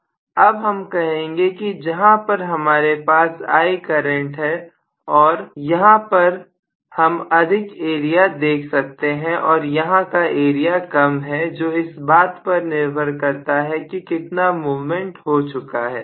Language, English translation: Hindi, Now I would say may be I have a current I here and I am probably having a larger area here and smaller area here probably depending upon how much the movement has taken place